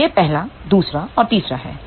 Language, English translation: Hindi, So, this is the first one, second and third one